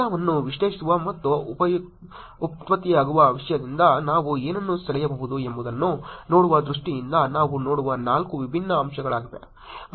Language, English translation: Kannada, These are the four the different aspects that we will look at in terms of analyzing the data and seeing what we can draw from the content that is getting generated